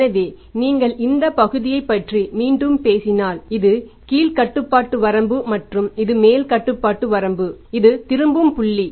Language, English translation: Tamil, So, these are the two control limits, upper control limit and the lower control limit and this is a return point